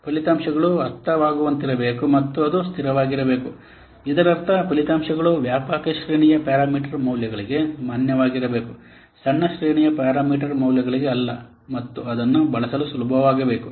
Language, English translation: Kannada, That means the results must be valid for a wide range of parameter values nor for a small range of parameters and it should be easy to use